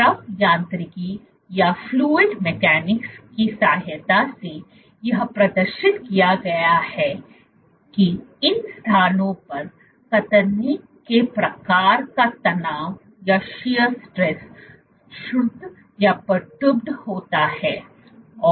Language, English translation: Hindi, So, with the help of fluid mechanics it has been demonstrated, that the type of shear stresses at these locations is perturbed